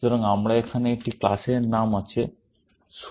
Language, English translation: Bengali, So, we have one class name here, suit